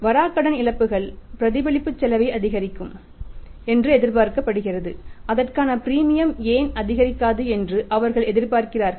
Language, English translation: Tamil, Their say bad debt losses are expected to increase the reflection cost is expected to increase why not the premium for that